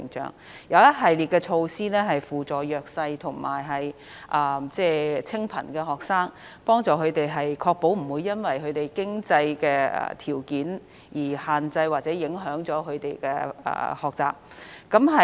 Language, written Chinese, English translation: Cantonese, 現時亦有一系列措施扶助弱勢和清貧學生，確保他們不會因為經濟條件問題而限制或影響了他們的學習。, We have also taken a series of measures to offer support to vulnerable and disadvantaged students thereby ensuring that adverse financial conditions will not restrict or affect them in their studies